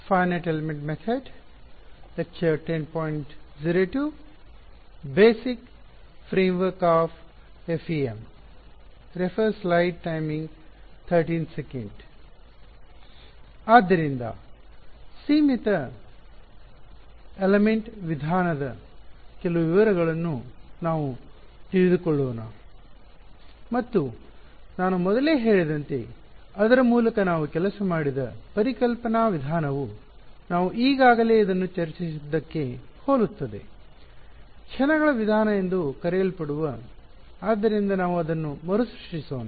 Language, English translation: Kannada, So, let us get into some of the details of this Finite Element Method and as I had mentioned much earlier, the conceptual way we worked through it is actually very similar to what we already discussed this so, what so called method of moments; so, let us just recap that